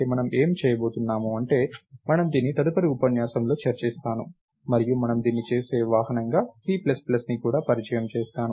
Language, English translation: Telugu, So, what we are going to do is, I am going to motivate this in the next lecture so and I will also introduce C plus plus as a vehicle with which we will do this